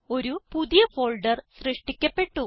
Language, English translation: Malayalam, * A New Folder is created